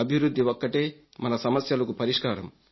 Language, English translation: Telugu, Development is the key to our problems